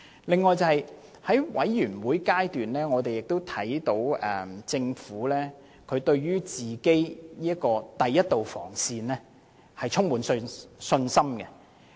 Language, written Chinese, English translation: Cantonese, 此外，在法案委員會，我們看到政府對第一道防線充滿信心。, Furthermore at meetings of the Bills Committee we noticed that the Government was confident in its first line of defence